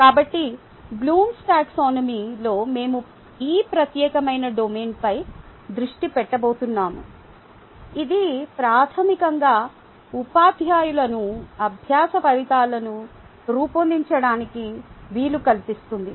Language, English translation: Telugu, so we are going to focus on this particular domain in blooms taxonomy, which basically enables the teachers to design learning outcomes